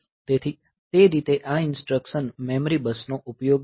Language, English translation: Gujarati, So, that way this instruction will be using the memory bus